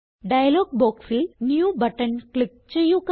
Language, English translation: Malayalam, Click on the New button in the dialog box